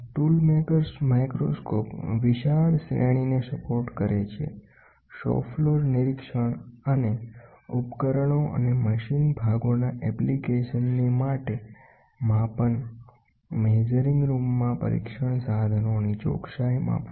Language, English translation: Gujarati, A tool maker’s microscope supports a wide range of application from shop floor inspection and measurement of tools and machined parts to precision measurement of test tools in the measuring room